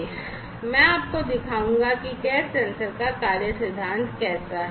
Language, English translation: Hindi, So, I will show you how the working principle of a gas sensor is